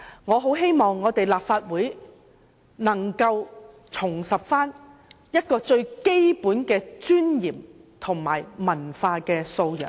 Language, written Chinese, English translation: Cantonese, 我很希望立法會能夠重拾最基本的尊嚴和文化素養。, I very much hope that the Legislative Council will restore its basic dignity and culture